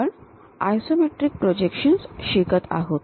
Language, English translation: Marathi, We are learning Isometric Projections